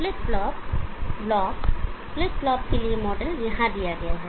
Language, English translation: Hindi, Flip flop block the model for flip flop is given here